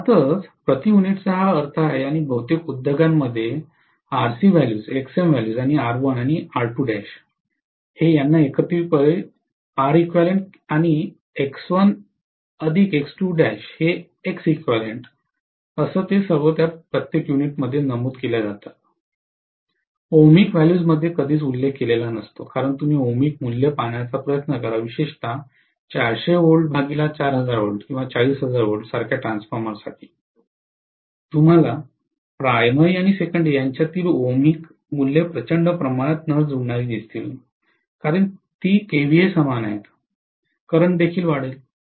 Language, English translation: Marathi, So this is the meaning of the per unit basically and most of the industries mention the RC values, XM values and R1 and R2 dash together as R equivalent and X1 plus X2 dash as X equivalent all of them are mentioned in per unit, hardly ever mentioned in ohmic values because if you try to look at the ohmic values, especially for a transformer like 400 V/say 4000 or 40,000 V, you will see the ohmic values grossly mismatching between the primary and secondary, because it is same kVA, the current would also be stepped up by 100 factor, 100 fold on the primary side and the voltage is stepped up by 100 fold on the secondary side